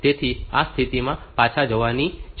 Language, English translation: Gujarati, So, you need to jump back to this position